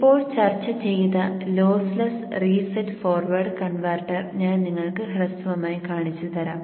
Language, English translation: Malayalam, I shall briefly show to you the lossless reset forward converter that we just discussed and see how we can do the simulation of that one